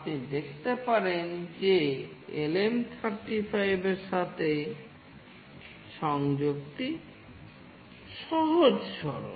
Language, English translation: Bengali, You can see that the connection with LM35 is fairly straightforward and fairly simple